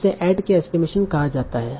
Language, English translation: Hindi, So this is called add k estimation